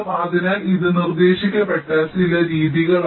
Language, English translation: Malayalam, so these are some methods which have been proposed